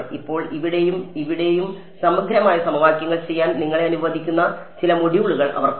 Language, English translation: Malayalam, Now, they have some more modules which allow you to do integral equations here and there